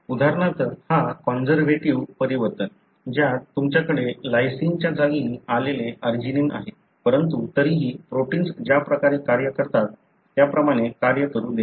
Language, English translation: Marathi, For example this conservative change, wherein you have arginine that has come in place of lysine, but still allow the protein to function the way it does